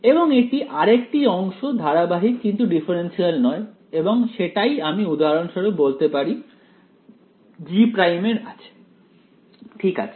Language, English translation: Bengali, And yeah this is the other part right it is continuous, but not differentiable right, so we can say that for example, G prime has a ok